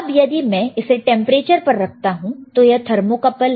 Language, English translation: Hindi, Now, if I keep it here it is in temperature, this is a thermocouple right